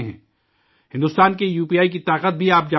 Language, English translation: Urdu, You also know the power of India's UPI